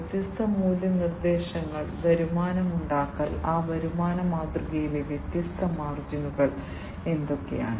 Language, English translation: Malayalam, The different value propositions, the revenue generation, and what are the different margins in that revenue model